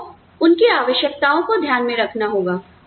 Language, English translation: Hindi, You need to keep, their needs in mind